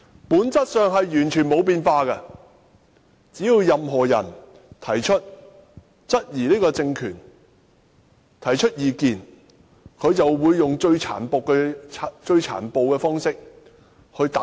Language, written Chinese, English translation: Cantonese, 本質上完全沒有變化，只要任何人質疑這個政權，提出意見，它便會用最殘暴的方式來打壓他。, There has been essentially no change at all . Anyone who questions this regime or voices any opinion will be suppressed in the most brutal way